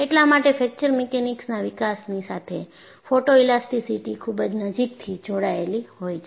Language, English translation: Gujarati, So, that is why I said, photoelasticity is very closely linked to development of Fracture Mechanics